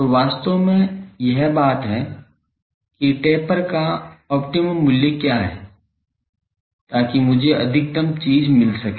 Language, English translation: Hindi, So, there actually this is the thing that what is the optimum value of the taper so, that I can get maximum thing